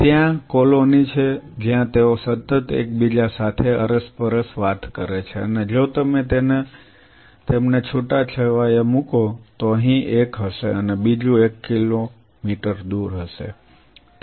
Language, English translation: Gujarati, There are colonies there are colonies where they continuously crosstalk with each other and if you sparsely seed them so one is here another is another one kilometer away another